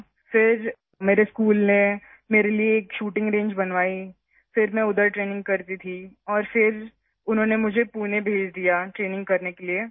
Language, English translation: Urdu, Then my school made a shooting range for me…I used to train there and then they sent me to Pune for training